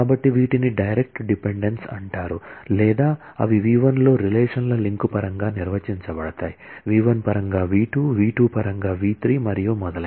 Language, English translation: Telugu, So, these are called direct dependence or they could be defined in terms of a chain of relations v1 in terms of v2, v2 in terms of v3 and so on